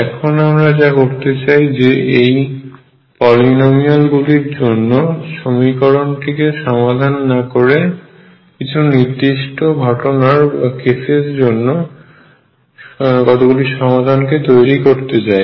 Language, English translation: Bengali, And now what I will do is instead of solving for this polynomial in general I will build up solution for certain cases